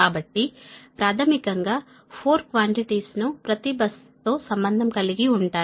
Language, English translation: Telugu, so basically, four quantities are associated with each bus, right